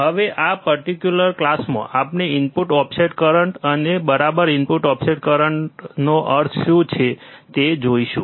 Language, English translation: Gujarati, Now, in this particular class, we will see input offset current and what exactly input offset current means